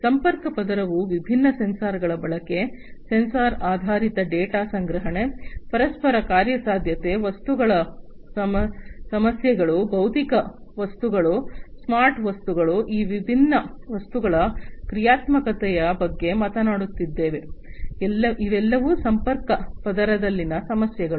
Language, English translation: Kannada, Connection layer is talking about the use of different sensors, the sensor based data collection, interoperability, issues of objects, physical objects, smart objects, functionality of these different objects, all these are issues at the connection layer